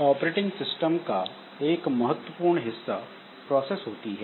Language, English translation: Hindi, So, in case of operating system, one important part of it is process